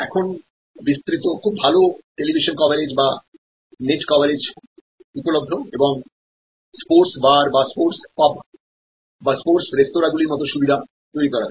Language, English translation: Bengali, Now, extensive very good television coverage or on the net coverage is available and facilities like sports bar or sports pubs or sport restaurants have been created